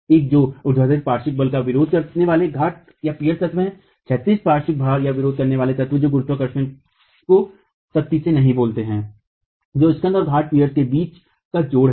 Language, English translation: Hindi, One is the vertical lateral load resisting element, the pier, the horizontal lateral load resisting element which does not carry gravity strictly speaking, that's the spandrel and the joint between the spandrel and the peer